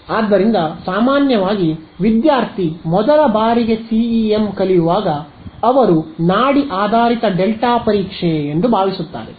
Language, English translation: Kannada, So, usually when student learns CEM for the first time they think pulse basis delta testing